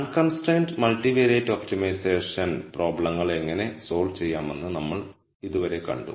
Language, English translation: Malayalam, Till now we saw how to solve unconstrained multivariate optimization problems